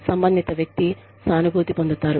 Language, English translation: Telugu, The person concerned will feel, empathized with